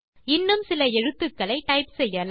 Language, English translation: Tamil, Lets type a few more letters